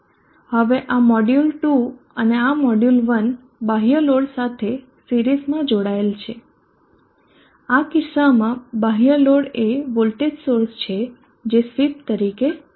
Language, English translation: Gujarati, Now this module 2 and this module one are connected in series to the external load in this case external load is the voltage source which is acting as a sweep